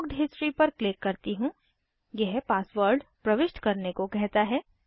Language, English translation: Hindi, Lets go to booked history, it says enter the password